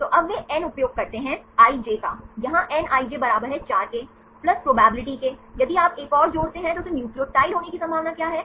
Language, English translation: Hindi, So, now, they use nij here nij equal to 4 plus the probability if you add one more what is the probability of having that nucleotide